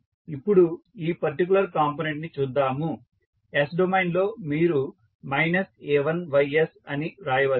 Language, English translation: Telugu, Now, let us see this particular component so in s domain you can write as minus a1ys